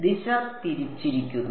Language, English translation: Malayalam, Direction is reversed